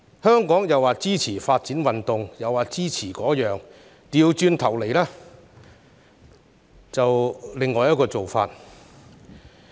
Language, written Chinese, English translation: Cantonese, 香港口說支持發展運動，行動上卻是另一回事。, Hong Kong fails to walk its talk on supporting sports development